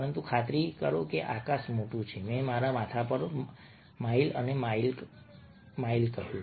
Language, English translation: Gujarati, but sure, the sky is big, i said, miles and miles above my head